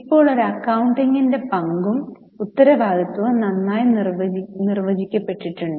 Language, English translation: Malayalam, Now the role and responsibility of accountant has been quite well defined